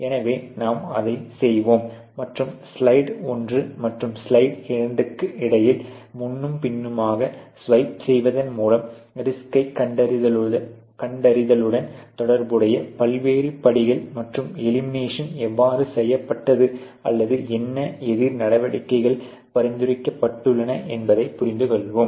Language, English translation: Tamil, So, I will do that and back and forth swipe between slide one and slide two to make you understand the various steps associated with the risk identification, and how elimination has been done or what counter measures have been suggested